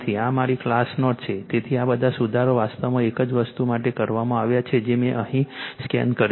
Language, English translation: Gujarati, This is my class note, so all corrections made actually same thing I have scanned it here for you right